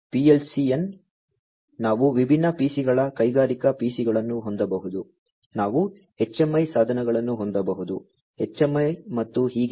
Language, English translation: Kannada, PLC n, we could have different PCs industrial PCs we could have HMI devices, HMI and so on